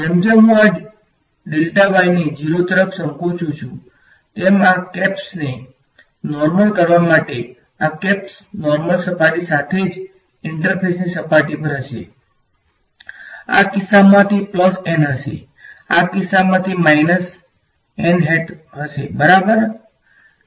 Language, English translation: Gujarati, So, as I shrink this delta y down to 0 the normals to this to these caps will be along the normal to the surface itself right to the interface, in this case it will be plus n in this case it will be minus n hat right